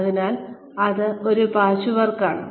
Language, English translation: Malayalam, So, that is a patchwork